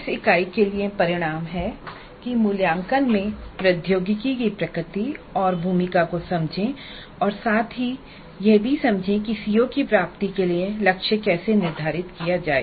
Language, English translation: Hindi, The outcomes for this unit are understand the nature and role of technology in assessment and understand how to set targets for attainment of COs